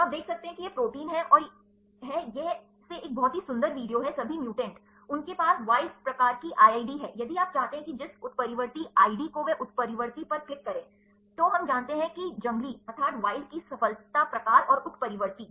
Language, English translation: Hindi, So, you can see this the protein m this is a pretty video all most from all the mutants, they have the wild type IID, if you want to have the mutant ID they are click on mutant, then we know that success of the wild type and mutant